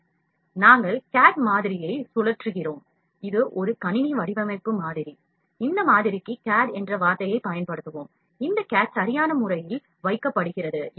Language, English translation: Tamil, So, we rotate and try to keep the cad, cad is this model, computer design model, we have I will use keep on using the word cad for this model, this is cad is kept in proper alignment